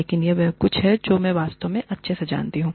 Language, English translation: Hindi, But, this is something, that I really know best